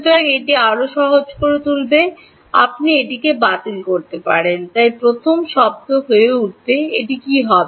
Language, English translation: Bengali, So, this will further simplify you can cancel it off, so the first term is going to become what will it become